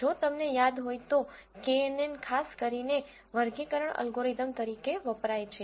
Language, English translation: Gujarati, If you remember knn is primarily used as a classification algorithm